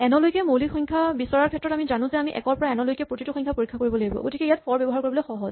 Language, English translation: Assamese, In primes up to n, we know that we must scan all the numbers from 1 to n, so it is easy to use the 'for'